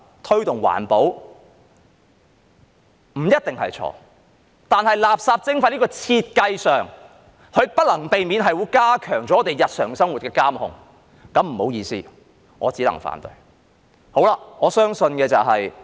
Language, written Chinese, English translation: Cantonese, 推動環保不一定是錯，但垃圾徵費在設計上是不能避免會加強對我們日常生活的監控，那便不好意思，我只能反對。, It may not necessarily be wrong to promote environmental protection but the design of waste charging will inevitably strengthen the control on our daily lives . In that case I am sorry to say that I can only oppose it